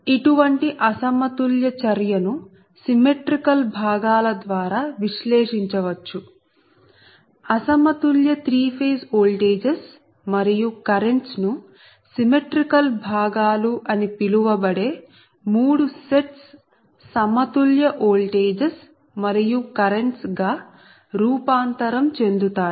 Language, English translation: Telugu, such an unbalanced operation can be analyzed through symmetrical components, where the unbalanced three phase voltages and currents are transformed in to three sets of balanced voltages and currents called symmetrical components